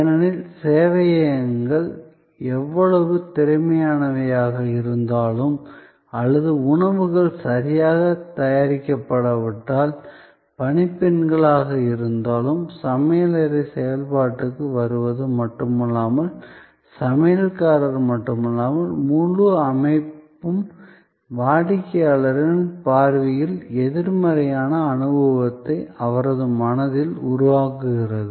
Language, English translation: Tamil, Because, however efficient the servers may be or the stewards may be, if the food is not well prepared, then not only the kitchen comes into play, not only the chef is then on the mate, the whole system is then creating an adverse experience in the customers perception in his or her mind